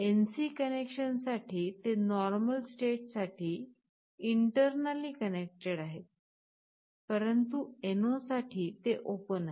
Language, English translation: Marathi, You see for the NC connection it is internally connected in the normal state, but for NO it is open